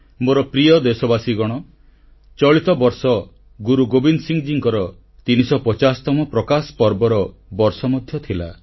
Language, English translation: Odia, My dear countrymen, this year was also the 350th 'Prakash Parv' of Guru Gobind Singh ji